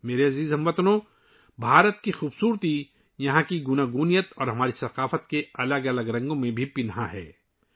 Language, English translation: Urdu, My dear countrymen, the beauty of India lies in her diversity and also in the different hues of our culture